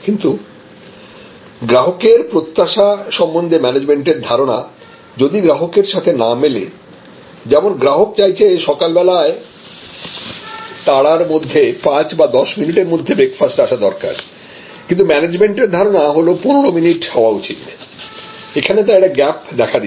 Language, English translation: Bengali, But, if that management perception of customer expectation is different from what the customer, the customer feels that the breakfast must be delivered in 5 minutes or 10 minutes in the morning, when there in hurry and a management feels that 15 minutes is, then there is a gap